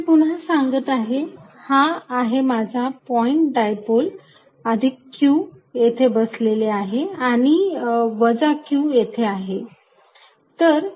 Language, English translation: Marathi, I am going to make it again, this is my point dipole plus q sitting here minus q sitting here